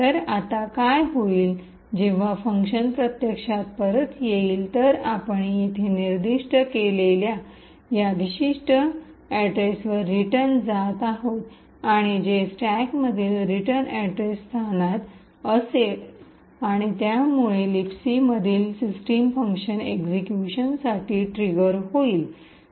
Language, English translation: Marathi, So what is going to happen now is that when the function actually returns is going to return to this particular address which we have specified over here and which would be present in the return address location in the stack and this would trigger the system function in libc to execute